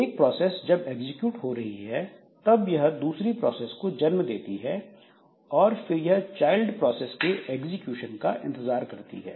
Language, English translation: Hindi, So, maybe one process when it is executing it creates another process and then it waits for the execution of the child process